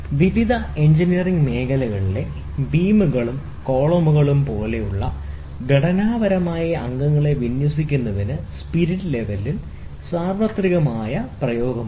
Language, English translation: Malayalam, Spirit level has universal application for aligning structural members such as beams and columns in various engineering fields